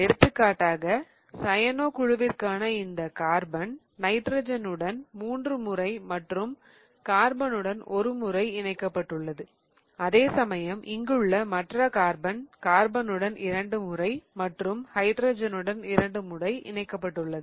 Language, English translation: Tamil, So, for example, this carbon here for cyanogne is attached three times to the nitrogen and once to the carbon, whereas this other carbon here is attached to two times to the carbons and two times to the hydrogen